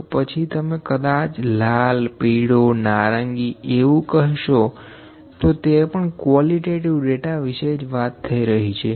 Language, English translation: Gujarati, Then even if you say colour is yellow blue orange, this is also a kind of qualitative data